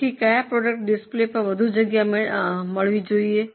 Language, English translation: Gujarati, So, which product should get more space on display